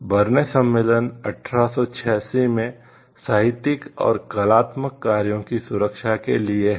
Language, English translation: Hindi, Berne convention is for the protection of literary and artistic works in 1886